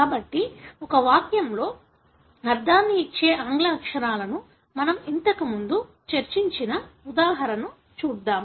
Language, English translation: Telugu, So, let us look into the example that we discussed before, the English alphabets which gives a meaning in a sentence